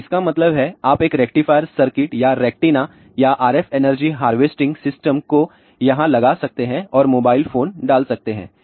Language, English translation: Hindi, So, that means, you can put one a rectifier circuit here another ah rectenna or RF energy harvesting system and put a mobile phone